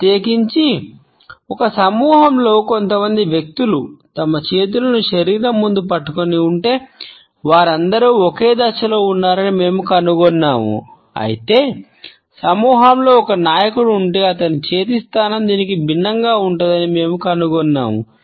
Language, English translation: Telugu, Particularly in a group if a couple of people have held their hands clenched in front of the body, we find that all of them are on the same footing whereas, if there is a leader in the group we would find that his hand position would be different from this